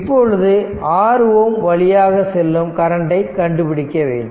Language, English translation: Tamil, So, we have to current find out the current through this 50 ohm resistance